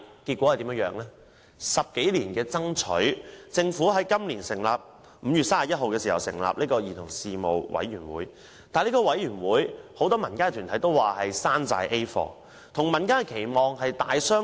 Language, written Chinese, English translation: Cantonese, 經過10多年的爭取，政府在今年5月31日成立了兒童事務委員會，但很多民間團體也說它只是一個"山寨 A 貨"，與民間的期望大相逕庭。, After more than 10 years of effort the Government established the Commission on Children on 31 May this year . However the Commission is so far away from public expectation that many community groups call it a grade A replica